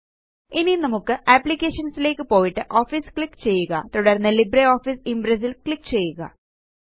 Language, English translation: Malayalam, Let us Go to Applications,click on Office,then click on LibreOffice Impress